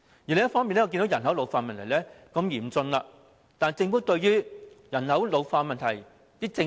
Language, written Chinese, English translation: Cantonese, 另一方面，我看到人口老化問題日趨嚴峻，但政府對於人口老化問題有何政策？, Besides as I can see the problem of population ageing is becoming increasingly serious but what policy does the Government have in respect of population ageing?